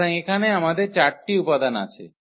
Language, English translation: Bengali, So, here we have 4 elements